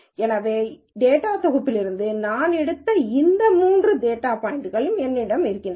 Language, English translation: Tamil, So, now, I have these three data points that I picked out from the data set